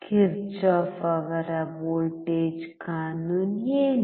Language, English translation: Kannada, What is Kirchhoff’s voltage law